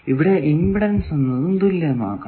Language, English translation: Malayalam, So, you can make that impedance